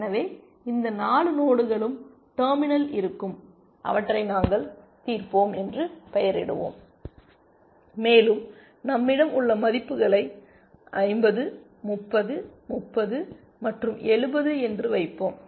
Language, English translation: Tamil, So, these 4 nodes will be terminal, we will label them solved and we will put the values that we have, which is 50, 30, 30, and 70